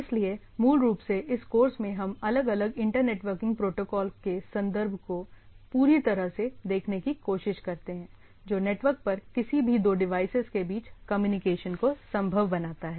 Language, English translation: Hindi, So, in this, basically in this course we try to look at, look whole thing in terms of different inter networking protocol which makes it possible to communicate between any two devices over the network